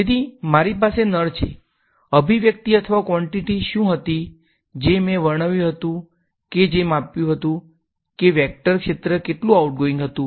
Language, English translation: Gujarati, So, I have taps, what was the expression or quantity which I had described which measured how much was how much outgoing a vector field was